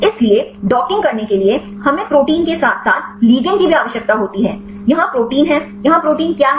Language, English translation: Hindi, So, to have docking, we need the protein as well as ligand; here the protein, what is the protein here